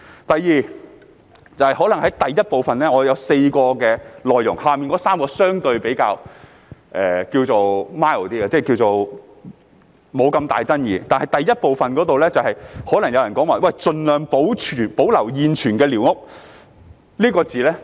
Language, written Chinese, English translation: Cantonese, 第二，我的議案有4點內容，以下3點相對比較 mild， 沒那麼大爭議性，但就第一部分，有人可能會對"盡量保留現存寮屋"存在爭議。, Secondly my motion consists of four points among which the last three are relatively mild and less contentious but as far as part 1 is concerned some people may dispute about retaining as far as possible the existing squatter structures